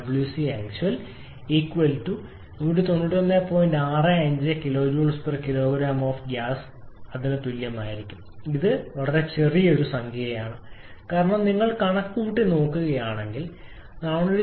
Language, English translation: Malayalam, 65 kilo, joule per kg of gasses a small number because if you look at the calculation of 497